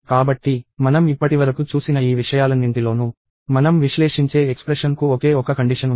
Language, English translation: Telugu, So, in all these things that we have seen so far, we have only one condition for the expression that we are evaluating